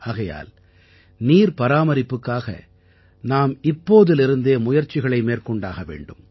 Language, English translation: Tamil, Hence, for the conservation of water, we should begin efforts right away